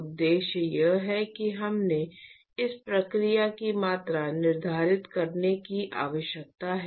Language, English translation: Hindi, I mean, the objective is we need to quantify this process